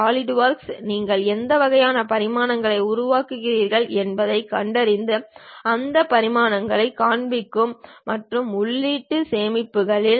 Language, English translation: Tamil, Solidworks detects what kind of dimensions, when you are constructing it shows those dimensions and saves internally